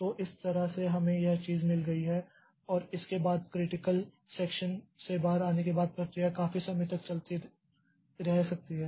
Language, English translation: Hindi, So, that way we have got this thing and after this the process after coming out on the critical section may be live for quite some time